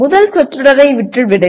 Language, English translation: Tamil, Leave the first phrase